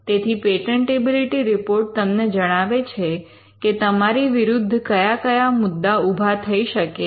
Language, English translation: Gujarati, So, a patentability report would let you know what are the chances of an objection that could come